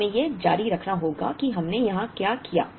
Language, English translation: Hindi, Now, we have to repeat what we have did